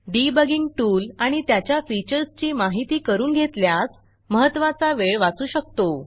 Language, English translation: Marathi, Hence, knowing a debugging tool and being familiar with its features can help you save valuable time